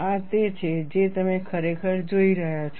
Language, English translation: Gujarati, This is what you are really looking at